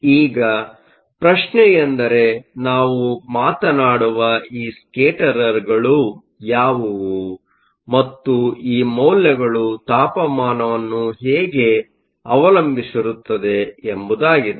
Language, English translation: Kannada, Now, the question is what are these scatterers that we talk about, and how do these values depend on temperature